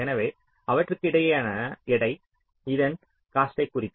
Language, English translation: Tamil, so the weight between them will indicate the cost of this